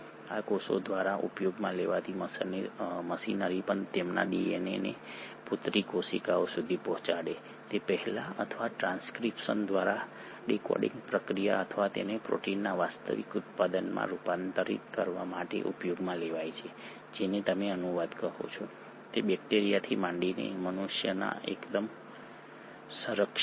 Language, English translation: Gujarati, Even the machinery which is used by these cells to replicate their DNA before they can pass it on to the daughter cells or the decoding process by transcription and its conversion into the actual product of protein which is what you call as translation is fairly conserved right from bacteria to humans